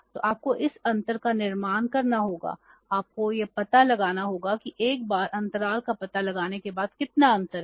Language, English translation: Hindi, So you have to build up this gap you have to find out that how much gap is there